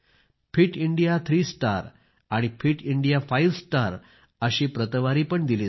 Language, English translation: Marathi, Fit India three star and Fit India five star ratings will also be given